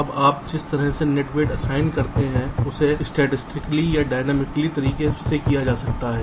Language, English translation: Hindi, right now, the way you assign the net weights can be done either statically or dynamically